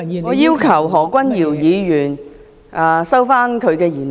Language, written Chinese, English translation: Cantonese, 我要求何君堯議員收回言論。, I request Dr Junius HO to withdraw his remarks